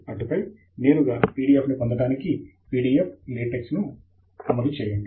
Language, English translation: Telugu, And then, we will run PDF LaTeX to generate a PDF directly